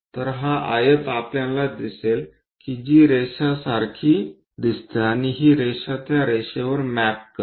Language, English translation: Marathi, So, this rectangle we will see which goes like a line and this line maps to this line so, maps there